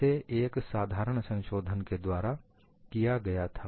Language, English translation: Hindi, It was done by a very simple modification